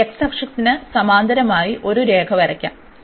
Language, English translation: Malayalam, Let us draw a line parallel to this x axis